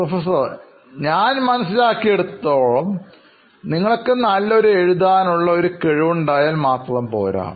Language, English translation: Malayalam, So as far as I understand it is not enough if you have a good writing experience alone